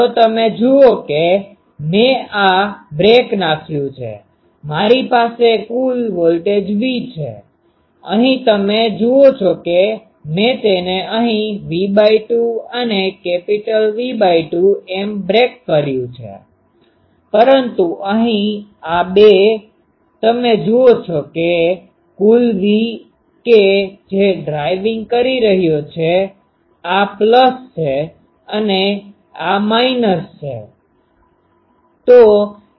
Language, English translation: Gujarati, So, you see I have broken these, I have a total voltage V, here you see I have broken it V by 2 here and V by 2 here, but here you see that these two total V that is driving, this is plus, this is plus, this is minus, this is minus